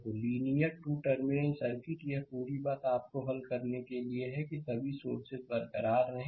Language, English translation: Hindi, So, linear 2 terminal circuit, this whole thing you have to solve keeping that all the sources intact right